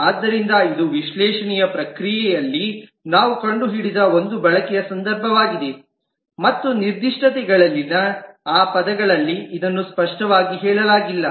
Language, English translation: Kannada, So this is a use case which we discovered in the process of analysis and it is not explicitly stated in those terms in the specifications And we try to put those as include here